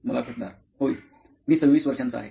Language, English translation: Marathi, Yeah, I am 26 years old